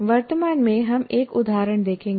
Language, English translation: Hindi, We'll presently see an example